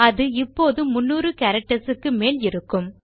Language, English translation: Tamil, That should be more than 300 characters now